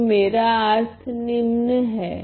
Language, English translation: Hindi, So, what I mean is the following